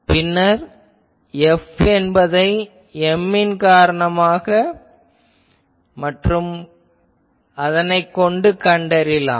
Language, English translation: Tamil, Then, find F due to M only